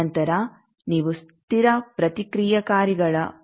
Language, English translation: Kannada, Then you locate what is the constant reactants 0